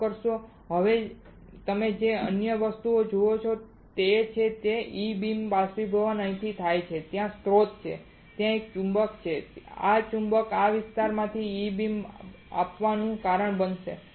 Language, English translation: Gujarati, Sorry now what you see other things is that the E beam evaporation occurs from here there is a source there is a magnet and this magnet will cause the E beam to come from this particular area